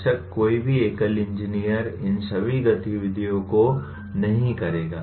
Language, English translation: Hindi, Of course, any single engineer will not be doing all these activity